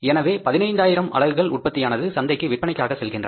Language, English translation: Tamil, So, it means currently the production going to the market is 15,000 units